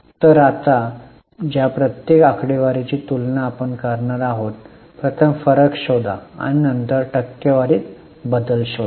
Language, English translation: Marathi, Are you getting so each of the figures now we are going to compare first find the difference and then find the percentage change